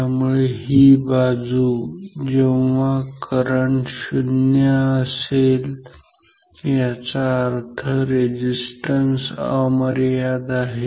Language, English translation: Marathi, So, this side; that means, current equal to 0 can be marked as resistance equal to infinite